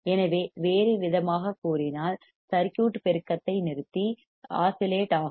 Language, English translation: Tamil, So, in other words the circuit will stop amplifying and start oscillating right